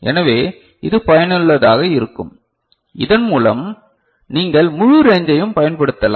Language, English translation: Tamil, So, this is useful, so that you can utilise the entire range